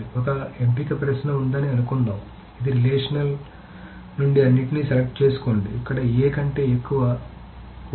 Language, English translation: Telugu, So suppose there is a selection query which says select everything from the relation where A greater than 4